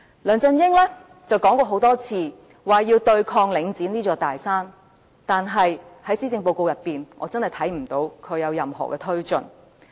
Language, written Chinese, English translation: Cantonese, 梁振英說過很多次要對抗領展這座大山，但是，在施政報告中，我真的看不到他有任何措施。, LEUNG Chun - ying has repeatedly said that he wants to conquer the very big mountain called Link REIT . But I frankly cannot see any measures in the Policy Address